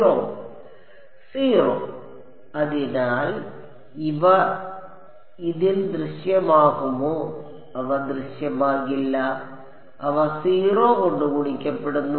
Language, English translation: Malayalam, 0; therefore, U 1 U 4 and U 5 will they appear in this they will not appear they get multiplied by 0